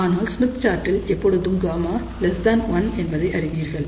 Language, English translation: Tamil, And for the Smith chart, we know that gammas are always less than 1